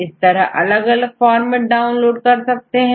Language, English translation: Hindi, So, various formats you can download the data